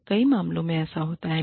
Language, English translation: Hindi, So, in many cases, this does happen